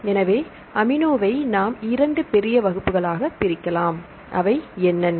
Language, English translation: Tamil, So, amino is a classified in 2 major groups what are 2 major groups